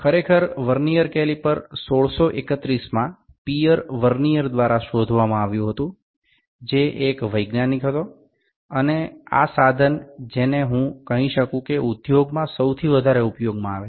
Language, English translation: Gujarati, Actually Vernier caliper was invented in 1631 by Pierre Vernier, who was a scientist and this is the instrument which is I can say most widely used in the industry